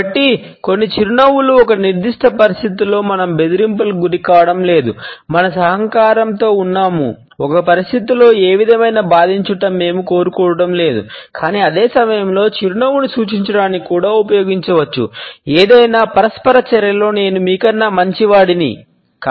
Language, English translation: Telugu, So, some smiles have evolved to signal that we are not being threatening in a particular situation rather we are being co operative, that we do not want any aggregation in a situation, but at the same time the smile can also be used to suggest “well I am better than you in any given interaction”